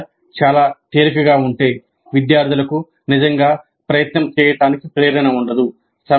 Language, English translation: Telugu, The problem is too easy then the students would really not have any motivation to put in effort